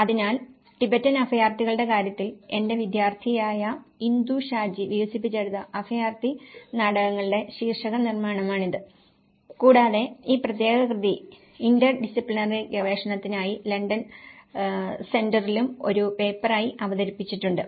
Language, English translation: Malayalam, So, this is the title production of refugee plays in time the case of Tibetan refugees which has been developed by my student Indu Shaji and this particular piece of work has also been presented at London Center for interdisciplinary research as a paper